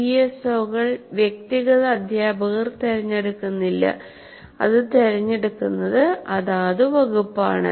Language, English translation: Malayalam, PSOs, individual teacher doesn't choose, it is a department that chooses